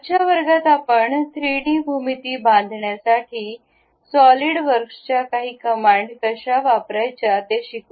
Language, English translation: Marathi, In today's class, we will learn how to use some of the Solidworks command to construct 3D geometries